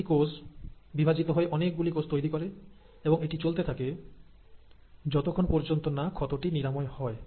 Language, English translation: Bengali, Now one cell will go on dividing to give multiple cells, but it starts growing as long as the wound is closed